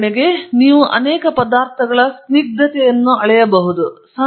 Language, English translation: Kannada, For example, you may measure the viscosity of many substances